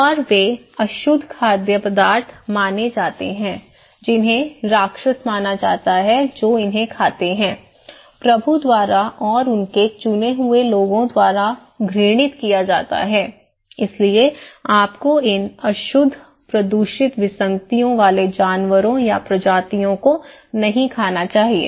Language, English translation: Hindi, And they are considered unclean foods considered to be monster okay, abominated by the Lord and by his chosen people, so you should not eat these unclean polluted anomaly animals or species, okay